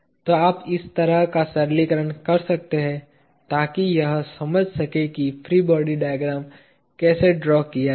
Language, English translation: Hindi, So, you can do this kind of simplification in order to understand how to draw the free body diagram